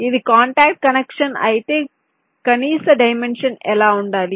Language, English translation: Telugu, if it is a contact connection, what should be the minimum dimension